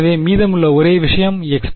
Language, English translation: Tamil, So, the only thing remaining is x prime